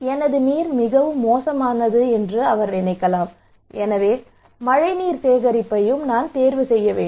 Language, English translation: Tamil, He may think that okay, my water is bad so I should also opt for rainwater harvesting